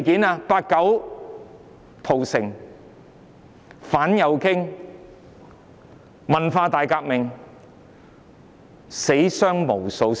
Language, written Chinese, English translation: Cantonese, 包括"八九屠城"、反右傾運動、文化大革命，死傷無數。, These incidents include the 1989 Massacre the anti - rightist movement and the Cultural Revolution which had caused numerous deaths and casualties